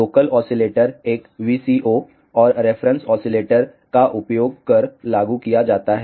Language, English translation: Hindi, The local oscillator is implemented using a VCO and a reference oscillator